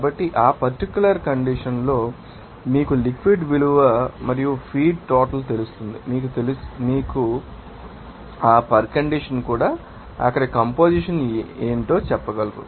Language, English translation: Telugu, So, at that particular condition you are you know value of liquid and you know feed amount will be known and that condition also you can say that what to be the composition there